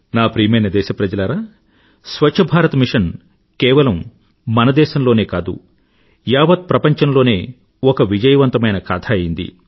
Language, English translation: Telugu, My dear countrymen, Swachh Bharat Mission or Clean India Mission has become a success story not only in our country but in the whole world and everyone is talking about this movement